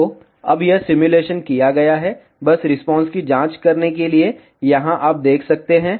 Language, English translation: Hindi, So, now it has been simulated, just to check the response, here you can see